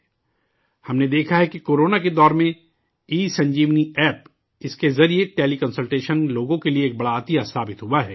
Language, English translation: Urdu, We have seen that in the time of Corona, ESanjeevani App has proved to be a great boon for the people